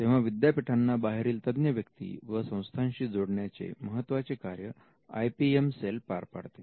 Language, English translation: Marathi, So, the IPM cell acts as the body that connects the university to the professionals outside